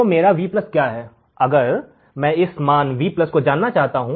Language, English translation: Hindi, So, what is my Vplus, now if I want to measure this value Vplus